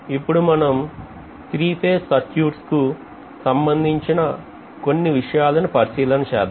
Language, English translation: Telugu, Now let us recall some of the principles corresponding to three phase circuits